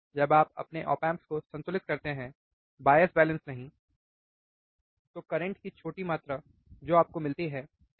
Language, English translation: Hindi, When you balanced your op amp, not bias balance, your op amp, then the small amount of current that you find, right